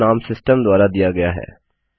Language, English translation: Hindi, That is the system generated name